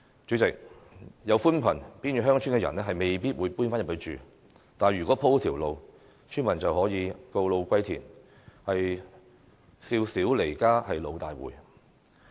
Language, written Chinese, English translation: Cantonese, 主席，即使鋪設寬頻，原住偏遠鄉村的人也未必會搬回鄉村內居住，但如果鋪設了道路，村民便可以告老歸田，"少小離家老大回"。, President even if there is broadband coverage residents who used to live in remote villages may not move back for settlement but if roads are built villagers may return home in their twilight years . Young when I went away I now come home an old man